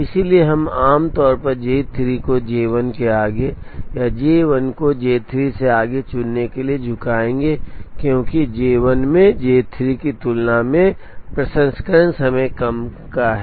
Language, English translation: Hindi, So, we would be inclined ordinarily to choose J 3 ahead of J 1 or J 1 ahead of J 3 because J 1 has lesser processing time compared to J 3